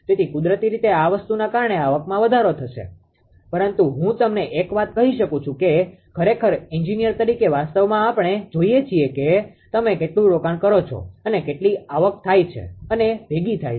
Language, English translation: Gujarati, So, naturally revenue increase due to this thing will be more, but let me tell you one thing that distribution actually as an as an engineer ah actually what we will look into you will look into how much you are investing and how much actually revenue being generated or collected, right